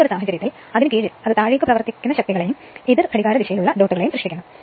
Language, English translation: Malayalam, So, in this case under that and it produces downward acting forces and a counter clockwise dots right